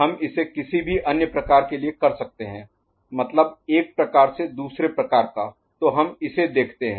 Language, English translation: Hindi, We can do it for any other type that is one type to another, so let us look at this one right